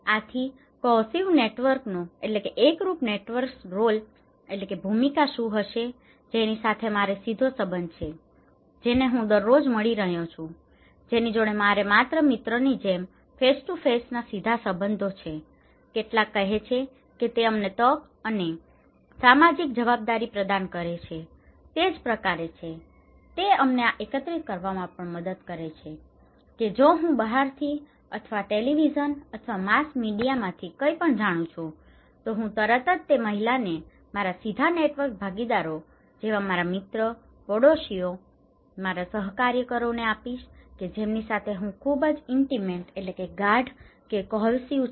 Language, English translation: Gujarati, So, what is the role of cohesive networks, with whom I have direct connections, every day I am meeting, talking face to face personal relationship like my friends, some are saying that it provides you the opportunity and social obligation, it is kind of, it also help you to collect that if I know something from outside or from any from televisions or mass media, I immediately pass the informations to my direct network partners like my friends, my neighbours, my co workers with whom I am very intimate, it is cohesive